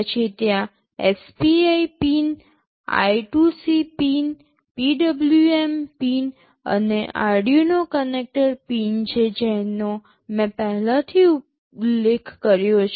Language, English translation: Gujarati, Then there are SPI pins, I2C pins, PWM pins, and this Arduino connector pins I have already mentioned